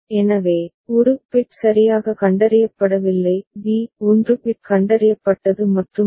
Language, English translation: Tamil, So, a – no bit has been detected properly; b 1 bit has been detected and so on and so forth